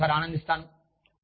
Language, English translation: Telugu, And, i will enjoy it, once